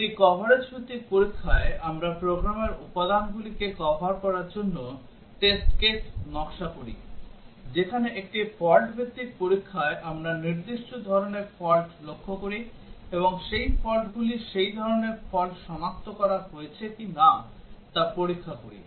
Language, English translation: Bengali, In a coverage based testing, we design test cases to cover program elements; whereas in a fault based testing we target specific type of faults and check whether those faults those type of faults has been detected